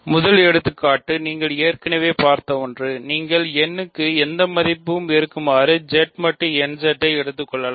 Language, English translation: Tamil, The first example is something you have already seen, you can take Z mod nZ for any n right; because nZ is an ideal Z mod nZ, this we are already familiar with ok